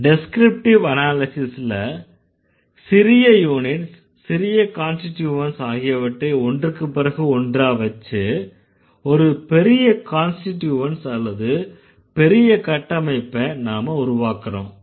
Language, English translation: Tamil, In descriptive analysis, we put small units or small constituents one by one to create or to form bigger constituents or the bigger structures